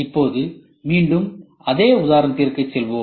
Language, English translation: Tamil, So, I will go back to the same example